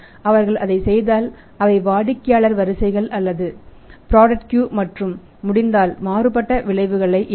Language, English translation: Tamil, If they do it then either they will customer queues or product queues and varying prices if it is possible